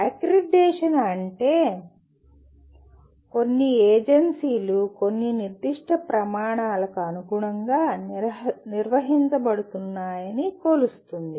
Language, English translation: Telugu, What accreditation means the some agency will measure to what extent a program that is conducted meet certain specified criteria